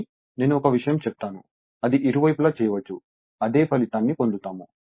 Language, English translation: Telugu, But let me tell you one thing, it can be done on either side; you will get the same result right